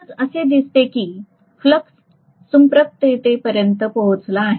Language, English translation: Marathi, So on the whole, it looks as though the overall flux has reached saturation